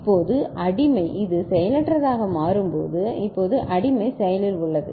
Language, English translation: Tamil, Now, slave when this becomes inactive 0 now slave becomes active right